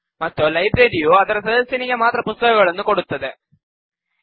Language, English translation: Kannada, And the library issues books to its members only